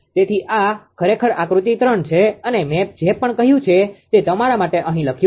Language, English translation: Gujarati, Therefore, this is actually figure 3 this is figure 3 whatever I told I have written here for you